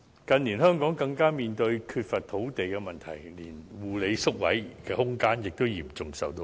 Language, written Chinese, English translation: Cantonese, 近年，香港更面對缺乏土地的問題，護理宿位的空間嚴重受到限制。, Furthermore the problem of land shortage in recent years has reined back the space available for care and attention home places seriously